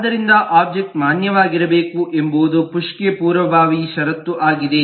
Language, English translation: Kannada, so the fact that the object will have to be valid is a precondition for the push